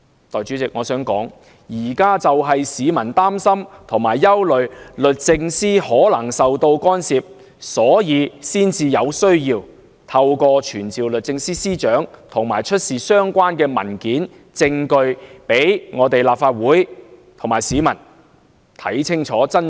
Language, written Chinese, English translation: Cantonese, 代理主席，我想指出，現在市民就是擔心和憂慮律政司可能受到干涉，才認為有需要透過傳召律政司司長，出示相關文件和證據，讓立法會和市民有機會看清楚真相。, Deputy President I have to say that people are now precisely worrying about DoJs possible vulnerability to interference and hence consider it necessary to summon SJ to produce all relevant papers and evidence so as to give the Legislative Council and the people a chance to find out the truth